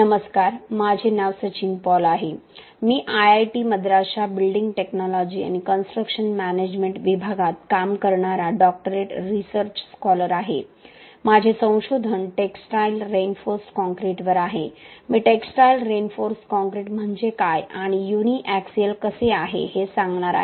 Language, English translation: Marathi, Hi all, my name is Sachin Paul I am doctoral research scholar working in building technology and construction management department of IIT Madras, my area of research is on textile reinforced concrete, I will be explaining what is textile reinforced concrete and how a uni axial tensile test is done for textile reinforced concrete and what are the factors that we need to consider while we are doing a uni axial tensile test